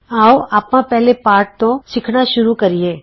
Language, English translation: Punjabi, Let us start by learning the first lesson